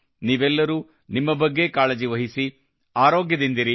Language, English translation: Kannada, You all take care of yourself, stay healthy